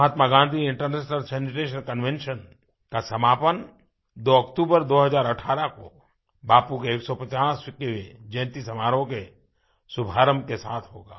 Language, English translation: Hindi, Mahatma Gandhi International Sanitation Convention will conclude on 2nd October, 2018 with the commencement of Bapu's 150th Birth Anniversary celebrations